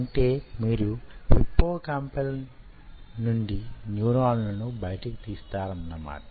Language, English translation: Telugu, ok, so from the hippocampus you take out the neurons